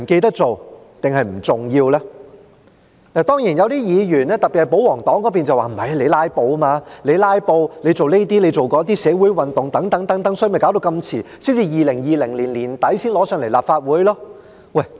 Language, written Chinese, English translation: Cantonese, 當然，有些議員，特別是保皇黨議員，會說那是因為我們"拉布"，我們做這些、做那些，發生社會運動等，所以便拖延這麼久，到2020年年底才提交立法會。, Of course some Members especially those of the royalist camp will claim that our filibusters our various moves the social movements and so on are the reasons causing the long delay in the submission of the Bill to this Council until late 2020